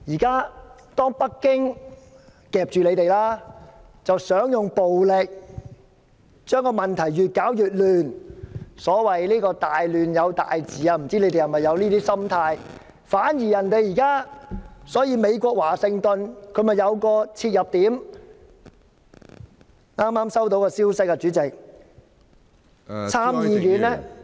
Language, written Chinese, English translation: Cantonese, 現在北京夾住你們，想用暴力把問題越搞越亂，所謂"大亂有大治"，不知道你們是否有這種心態，反而現在美國華盛頓有了切入點，我剛剛收到消息，參議院......, Now you are held hostage by Beijing that wants to use violence to render the situation even more chaotic as they believe great order always comes after great chaos . I wonder if you also think this way . On the contrary Washington has been given a handle now